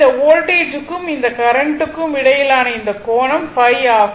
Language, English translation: Tamil, And this angle between this voltage and this current, it is phi angle is the phi, right